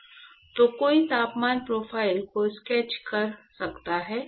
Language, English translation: Hindi, So, one could sketch the temperature profile